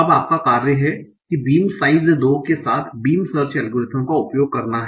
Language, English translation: Hindi, Now your task is to use beam such algorithm with a beam size of 2